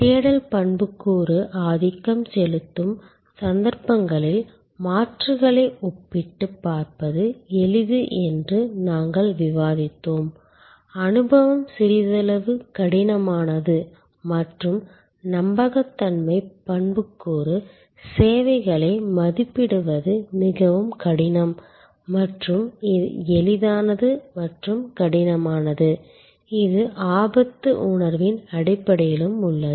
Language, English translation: Tamil, And we have discussed that it is easier to compare the alternatives in those cases, where search attribute dominates, experience is the little bit more difficult and credence attribute services are more difficult to evaluate and this easy to difficult, this is also based on risk perception